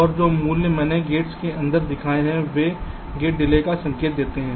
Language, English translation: Hindi, and the values which i shown inside the gates, they indicate the gate delays